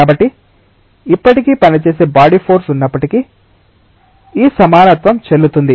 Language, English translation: Telugu, So, even if there is a body force that is acting still this equality is valid